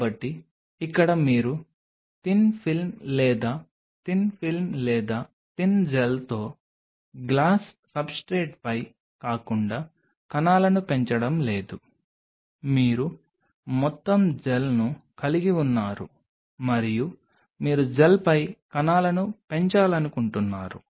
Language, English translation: Telugu, So, here you have no more growing the cells not on a glass substrate with thin film or a thin film or a thin gel you are having the whole gel and you want to grow the cells on the gel